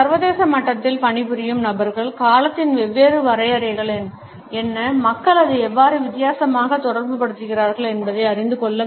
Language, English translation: Tamil, People who work at an international level must know what are the different definitions of time and how do people relate to it differently